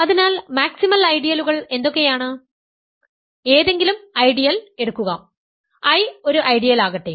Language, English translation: Malayalam, So, what are maximal ideals; so, take any ideal, let I be an ideal